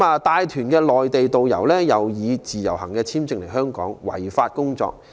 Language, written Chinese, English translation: Cantonese, 帶團的內地導遊，以自由行簽證來港違法工作。, It is unlawful for the Mainland tourist guides who come to Hong Kong under the Individual Visit Scheme to work in Hong Kong